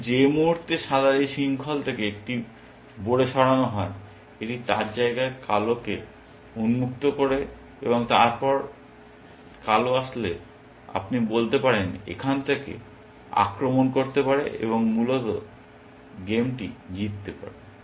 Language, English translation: Bengali, But the moment white moves one pawn from this chain, it opens its territory to black and then, black can actually as you might say, invade from here and win the game essentially